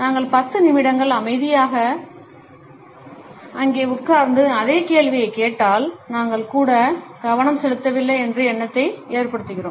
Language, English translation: Tamil, If we sat there quietly for ten minutes and asked the same question, we make the impression that we did not even pay attention